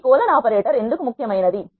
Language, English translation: Telugu, Why is this colon important